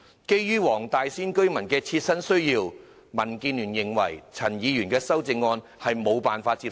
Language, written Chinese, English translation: Cantonese, 基於黃大仙區居民的切身需要，民建聯認為陳議員的修正案令人無法接受。, In view of the personal need of these residents DAB finds the amendment proposed by Dr CHAN unacceptable